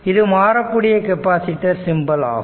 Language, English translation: Tamil, So, this is the fixed capacitor symbol